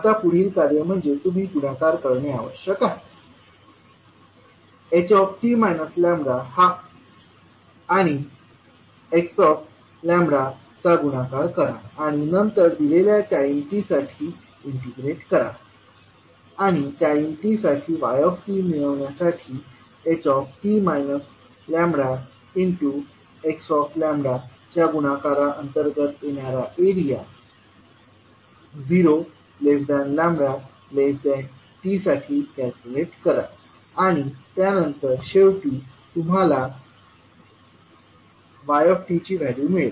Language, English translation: Marathi, Now next task is that you have to multiply, find the product of h t minus lambda and x lambda and then integrate for a given time t and calculate the area under the product h t minus lambda x lambda for time lambda varying between zero to t and then you will get finally the value of yt